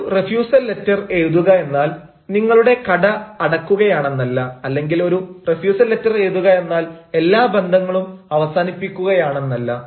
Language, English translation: Malayalam, because writing a refusal letter does not mean closing our shop, or writing a refusal letter does not mean closing all our ties